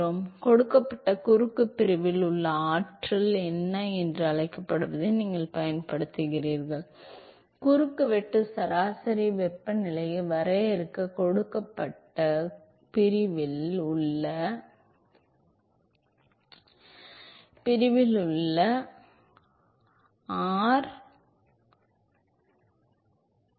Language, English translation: Tamil, So, you use what is called the internal energy in a given cross section, so use the property of internal energy at given cross section to define the cross sectional average temperature